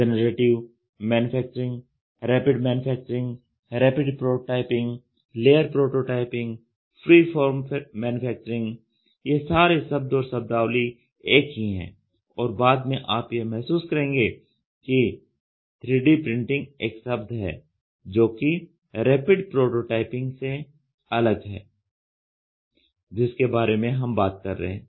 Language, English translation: Hindi, Generative Manufacturing, Rapid Manufacturing, Rapid Prototyping, Layered Prototyping, Freeform Manufacturing, all these words and terminologies are interchanged and later you will realize that 3D printing is a word, which is different from what we are talking about in rapid prototyping